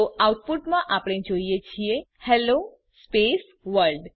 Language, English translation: Gujarati, So in the output we see Hello space World